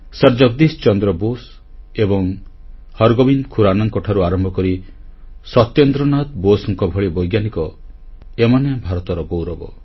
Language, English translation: Odia, Right from Sir Jagdish Chandra Bose and Hargobind Khurana to Satyendranath Bose have brought laurels to India